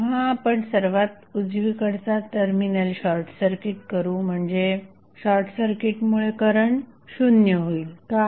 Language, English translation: Marathi, So, when you short circuit the right most terminal that is if you short circuits then current would be 0, why